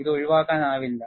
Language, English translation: Malayalam, This is unavoidable